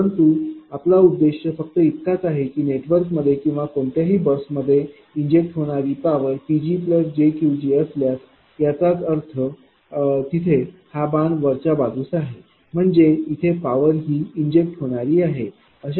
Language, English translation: Marathi, But our objective is only thing that if it is a power being injected into the network or any bus if it is suppose this is P g and this is plus j Q g; that means, arrow is this direction arrow is upward; that means, it is injecting power it is injecting power right